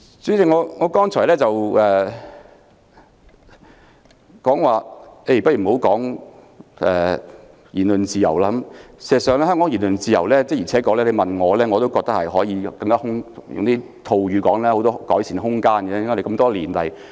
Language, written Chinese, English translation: Cantonese, 主席，我剛才說過不談言論自由，而事實上，要評論香港的言論自由，的確我覺得可以套用一句說話，便是還有很多改善空間。, President I have said that I would not talk about freedom of speech . But as a matter of fact to comment on Hong Kongs freedom of speech I can quote the saying that there is much room for improvement